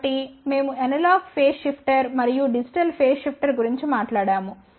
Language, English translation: Telugu, So, today we have discussed about different type of phase shifters so, we talked about analog phase shifter and digital phase shifter